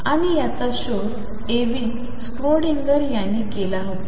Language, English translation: Marathi, And this discovery who was made by Erwin Schrödinger